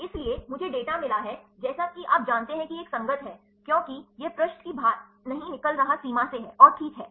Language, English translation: Hindi, So, I got the data like you know this is a compatible because, it is not exiting the page limit and all right